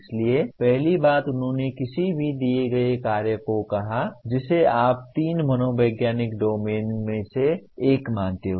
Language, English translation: Hindi, So first thing he said any given task that you take favors one of the three psychological domains